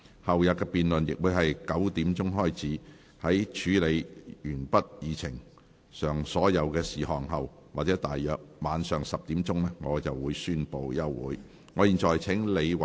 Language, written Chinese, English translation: Cantonese, 後天的辯論亦會在上午9時開始，在處理完畢議程上所有事項後或大約晚上10時，我便會宣布休會。, The debate for the day after tomorrow will also start at 9col00 am . I will adjourn the meeting after conclusion of all the business on the Agenda or at around 10col00 pm